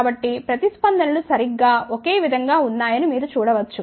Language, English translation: Telugu, So, you can see that the responses exactly same there is no difference at all